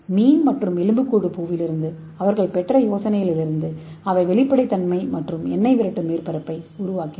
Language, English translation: Tamil, So they got the idea from the fish and skeleton flower and they made a transparent and oil repelling surface